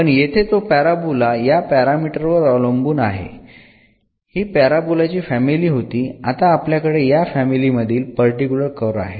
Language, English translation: Marathi, But here that parabola depends on this parameter it was a family of the parabolas, but now we have a particular curve out of this family